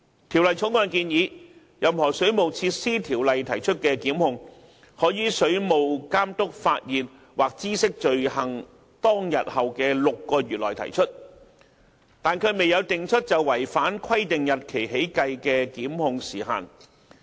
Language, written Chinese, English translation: Cantonese, 《條例草案》建議，任何《水務設施條例》提出的檢控，可於水務監督發現或知悉罪行當天後的6個月內提出，但卻未有訂出就違反規定日期起計的檢控時限。, The Bill proposes that any prosecution under WWO may be brought within a period of six months from the date on which the offence is discovered by or comes to the notice of the Water Authority . Yet the time limit for instituting prosecutions since the date of violation of requirement is not specified